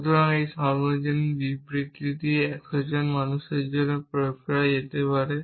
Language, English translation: Bengali, So, this universally statement could be applied to 100s of people